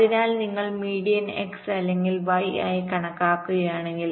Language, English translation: Malayalam, you calculate the x median, red point is the x median